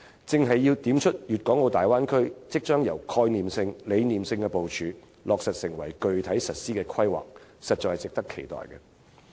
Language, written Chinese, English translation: Cantonese, "這正正點出大灣區將由概念性、理念性的部署，落實成為具體實施規劃，實在值得期待。, This has precisely pointed out that the Bay Area as a conceptual and abstract plan will be materialized and implemented under specific planning . We honestly look forward to it